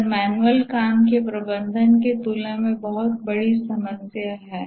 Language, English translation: Hindi, This is a much bigger problem than managing manual work